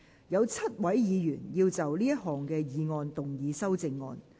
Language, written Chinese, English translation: Cantonese, 有7位議員要就這項議案動議修正案。, Seven Members will move amendments to this motion